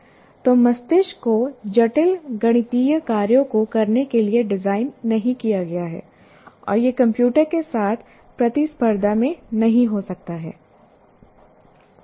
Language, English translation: Hindi, So brain is not designed to perform complex mathematical operations and cannot be in competition with the computer